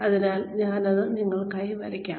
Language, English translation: Malayalam, So, I will just draw this out for you